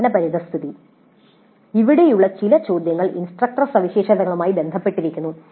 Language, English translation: Malayalam, Then learning environment, some of the questions here are also related to instructor characteristics